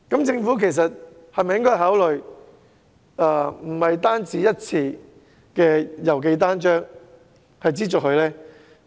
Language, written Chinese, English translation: Cantonese, 政府是否應該考慮不只資助一次郵寄單張呢？, Should the Government consider providing another chance for candidates to send pamphlets free of postage?